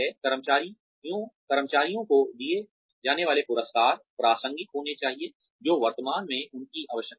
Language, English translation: Hindi, The rewards, that are given to employees, should be relevant, to what they currently need